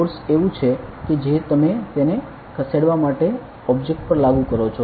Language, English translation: Gujarati, Force is like the force is what do you apply on an object to move it